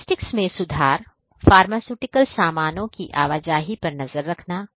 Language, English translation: Hindi, Improving logistics; tracking the movement of pharmaceutical goods